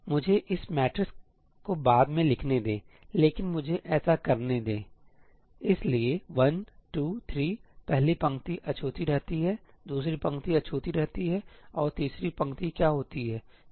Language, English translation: Hindi, let me write this matrix later, but let me do this – 1 2 3 the first row remains untouched, second row remains untouched and what happens to the third row